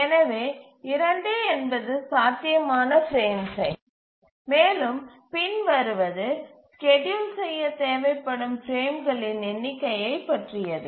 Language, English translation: Tamil, So 2 is a possible frame size but what about the number of frames that are required by the schedule